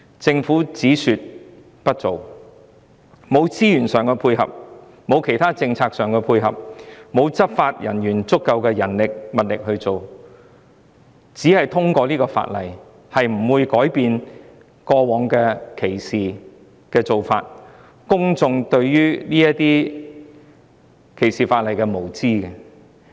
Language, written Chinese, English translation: Cantonese, 政府只說不做，沒有資源上的配合，沒有其他政策的配合，也沒有足夠的執法人員和物力執法，因此，只是通過法例，並不會改變過往的歧視情況，亦不會改變公眾對於歧視法例的無知。, The Government only talks the talk without providing support in resources and policies and there are inadequate law enforcement manpower and resources thus the discrimination situation in the past and public ignorance towards discrimination laws will not be changed by the passage of the legislation alone